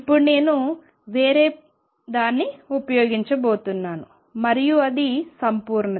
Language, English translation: Telugu, Now, I am going to use something else and that is completeness